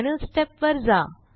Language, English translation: Marathi, And go to the final step